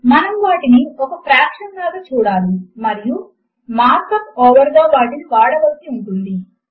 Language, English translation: Telugu, We just have to treat them like a fraction, and use the mark up over